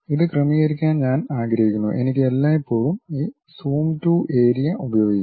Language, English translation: Malayalam, I would like to adjust this; I can always use this Zoom to Area